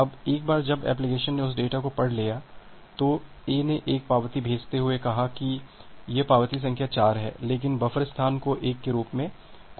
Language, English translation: Hindi, Now once the application has read that data, A sends another acknowledgement saying that the acknowledgement number the same acknowledgement number 4, but announcing the buffer space as 1